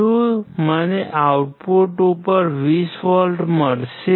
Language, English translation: Gujarati, Would I get 20 volts at the output